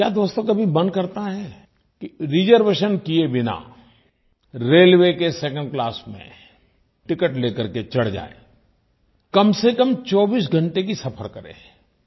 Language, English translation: Hindi, Friends have you ever thought of travelling in a Second Class railway Compartment without a reservation, and going for atleast a 24 hours ride